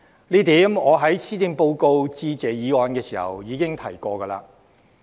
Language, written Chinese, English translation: Cantonese, 這點我在施政報告的致謝議案辯論時已經提及。, I have already mentioned this point in the debate over the Motion of Thanks in respect of the Policy Address